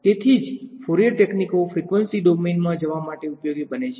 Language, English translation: Gujarati, So, that is why Fourier techniques become useful to go into the frequency domain